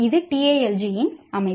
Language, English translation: Tamil, This is a structure of Talji